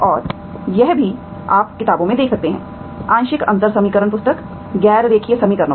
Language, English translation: Hindi, And also you can look into the books, partial differential equation book, on nonlinear equations, okay